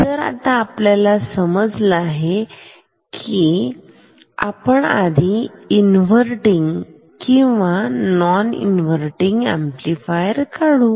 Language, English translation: Marathi, So, we found it like that let us first draw inverting and non inverting amplifier